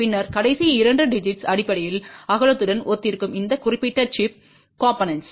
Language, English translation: Tamil, And then the last two digits basically correspond to the width of this particular chip component